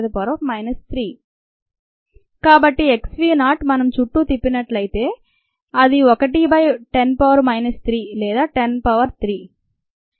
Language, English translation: Telugu, so x v naught by x v, if we flip it around, it will be one by ten power minus three, or ten power three